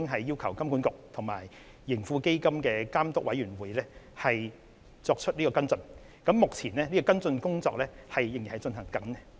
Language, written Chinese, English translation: Cantonese, 就此，我們已經要求金管局及盈富基金監督委員會作出跟進，而目前這項工作仍在進行中。, In this connection we have asked HKMA and the Supervisory Committee of TraHK to take follow - up actions . The relevant work is still in progress